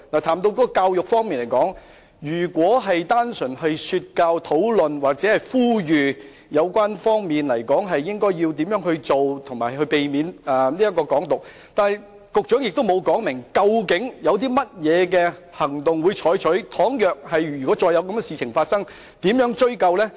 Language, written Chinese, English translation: Cantonese, 談到教育，政府只單純說教，表示會討論或呼籲有關方面應如何處理，避免"港獨"，局長卻沒有說明，當再次發生類似事情，會採取甚麼行動，該如何追究。, As regards education the Government is simply preaching indicating that it would discuss with the relevant parties how to handle similar issues and how to avoid the advocacy of Hong Kong independence . The Secretary did not say what action would be taken if similar incidents recurred and who would be held responsible